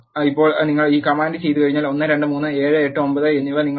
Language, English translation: Malayalam, Now, once when you do this command you will say 1 2 3 and 7 8 9 will be printed as your output